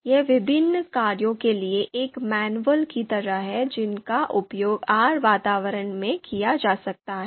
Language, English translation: Hindi, This is just like manual of you know different functions that can be used in a R environment